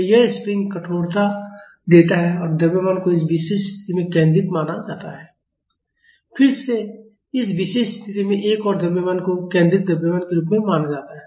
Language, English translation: Hindi, So, this spring gives stiffness and the mass is assumed to be concentrated at this particular position and again another mass is treated as the concentrated mass at this particular position